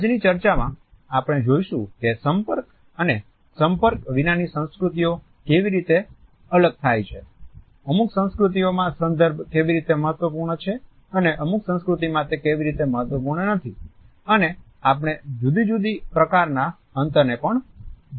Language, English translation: Gujarati, In today’s discussion we would look at how cultures can be differentiated on the basis of being contact and non contact, how context is important in certain cultures where as in certain it is not and also we would look at different types of space understanding